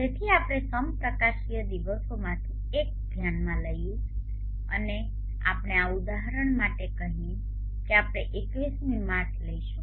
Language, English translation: Gujarati, So we can consider one of the equinoxes days and let us say for this example we will take March 21st